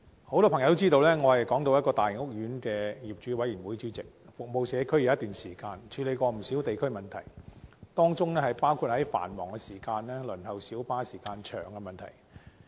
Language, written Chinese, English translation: Cantonese, 很多朋友都知道，我是港島一個大型屋苑的業主委員會主席，服務社區已有一段時間，曾處理不少地區問題，當中包括在繁忙時段輪候小巴時間很長的問題。, As many people may know I am the chairman of the owners committee of a large residential estate on the Hong Kong Island . I have been serving the community for some time and have handled many local issues including the lengthy waiting time for light buses during peak hours